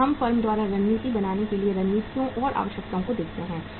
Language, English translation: Hindi, Now let us look at the strategies and the requisites for building a strategy by the firm